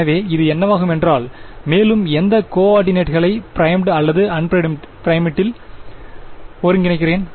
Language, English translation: Tamil, So, this will become, and I am integrating over which coordinates primed or unprimed